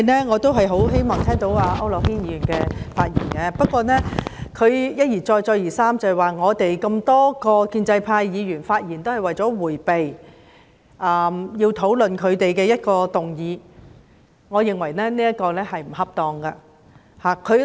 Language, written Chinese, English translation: Cantonese, 我很希望繼續聽區諾軒議員的發言，不過他一而再、再而三地指多位建制派議員的發言均是為了迴避討論反對派提出的議案，我認為這說法不恰當。, I am eager to continue to listen to what Mr AU Nok - hin says but he has time and again pointed out that a number of pro - establishment Members make speeches to evade the discussion of the motion proposed by the opposition camp . I find such an accusation inappropriate